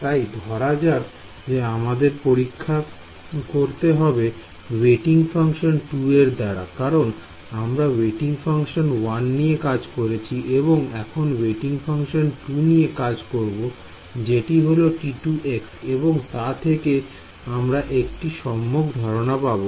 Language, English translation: Bengali, So, we have to test with let us say weighting function 2, we did with weighting function 1 now we have to do with weighting function 2 which is T 2 x and that will give us the general idea